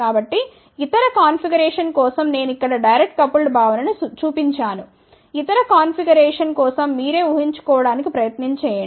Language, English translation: Telugu, So, I have just shown the direct coupled concept here for other configuration, you can actually try to visualize yourself